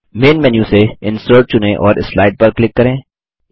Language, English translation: Hindi, From Main menu, select Insert and click on Slide